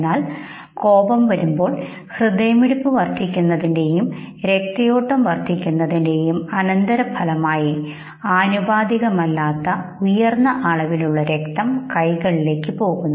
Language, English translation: Malayalam, But what happens in the case of anger, as a consequence of increasing the heartbeat, and increasing the blood flow, there is a disproportionately high amount of blood that goes into ones hand